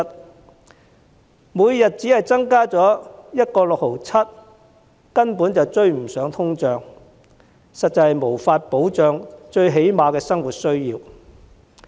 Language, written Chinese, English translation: Cantonese, 綜援金額每天只增加 1.67 元根本追不上通脹，實在無法保障最基本的生活需要。, An increase of 1.67 per day in the CSSA rate can absolutely not catch up with inflation thus indeed failing to assure the most basic needs in daily living